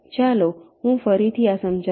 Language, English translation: Gujarati, ok, let me again illustrate this